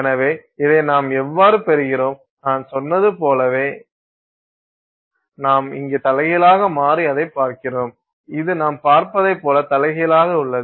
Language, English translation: Tamil, So, this is how we get it and the same thing like I said we have inverted here which is inverted is what you see